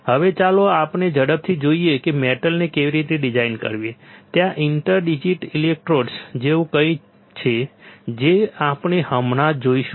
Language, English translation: Gujarati, Now, let us see quickly how to design a metal there is something like inter digital electrodes, we will just see